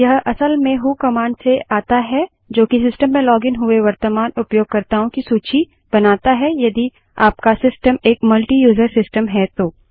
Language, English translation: Hindi, This in fact comes from the who command that enlists all the users currently logged into the system in case your system is a multiuser system